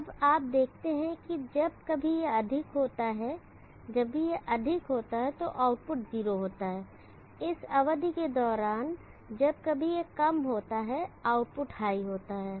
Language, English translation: Hindi, Now this wave form is given here, now you see that whenever this is high the output is 0, whenever it is low during this period the output is high